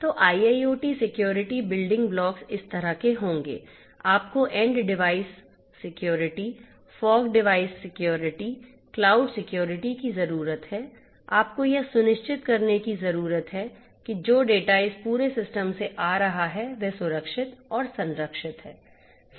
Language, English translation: Hindi, So, IIoT security building blocks would be like this, you need to have end devices security, fog devices security, cloud security you need to ensure that the data that is coming in from this whole system that is secured and protected